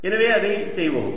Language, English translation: Tamil, so let us just do that